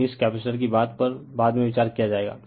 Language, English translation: Hindi, So, this capacitor thing will consider later